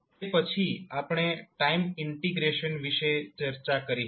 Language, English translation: Gujarati, Then, we discussed about the time integration